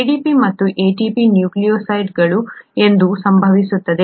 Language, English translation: Kannada, It so happens that ADP and ATP are nucleotides